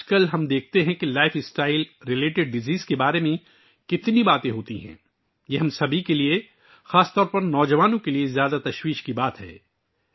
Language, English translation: Urdu, Nowadays we see how much talk there is about Lifestyle related Diseases, it is a matter of great concern for all of us, especially the youth